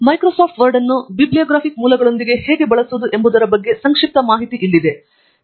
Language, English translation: Kannada, Here is a brief demo on how to use Microsoft Word with bibliographic sources to add references to your text